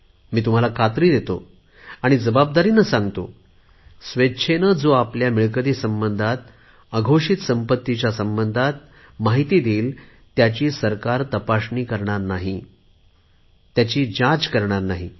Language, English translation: Marathi, I have also promised that for those who voluntarily declare to the government their assets and their undisclosed income, then the government will not conduct any kind of enquiry